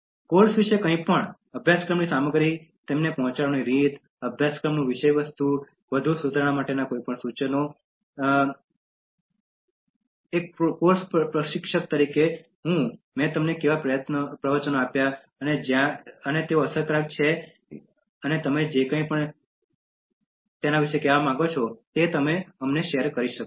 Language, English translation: Gujarati, Anything about the course, the course contents, the way it was delivered to you, the course contents, any suggestions for further improvement, the course instructor that is me and how I delivered the lectures, where they effective and anything you want to say about this, you can share it